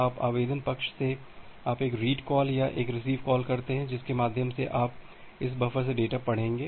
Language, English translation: Hindi, Now from the application side you make a read call or a receive call which you through which you will read the data from this buffer